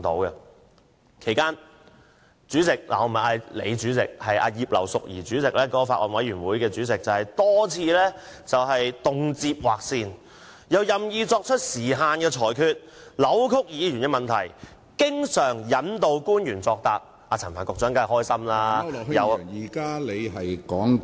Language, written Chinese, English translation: Cantonese, 在此期間，主席——我不是指大主席你，而是指法案委員會主席葉劉淑儀議員——多次劃線，又任意作出時限裁決，扭曲議員問題，經常引導官員作答，陳帆局長當然很高興......, In the course of deliberations the Chairman―I am not referring to the President but the Chairman of the Bills Committee―drew lines repeatedly set time limits arbitrarily distorted members questions and often guided officials replies . Secretary Frank CHAN was certainly pleased